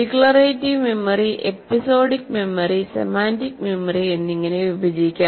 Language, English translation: Malayalam, This declarative memory may be further subdivided into what we call episodic memory and semantic memory